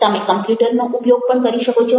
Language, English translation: Gujarati, you can also use the computer